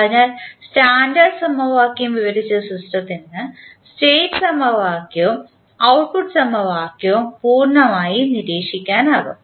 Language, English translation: Malayalam, So, for the system described by the standard equation, state equation and the output equation can be completely observable